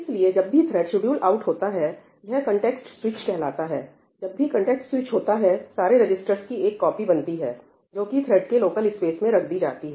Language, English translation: Hindi, So, whenever a thread is scheduled out that is called a context switch whenever a context switch takes place, a copy is created for all the registers, and kept in some space which is thread local space